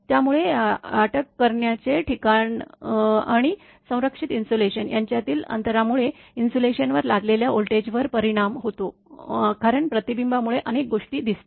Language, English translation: Marathi, So, distance between the arrester location and the protected insulation affect the voltage imposed on insulation due to reflections look so many things are there